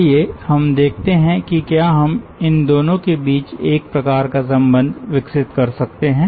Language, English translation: Hindi, let us see that, whether we can develop a kind of relationship between these